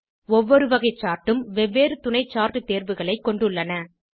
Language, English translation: Tamil, Each type of Chart has various subchart options